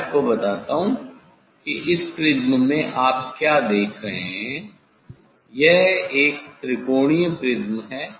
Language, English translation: Hindi, in prism let me tell you what there is you see in this prism it is the triangular prism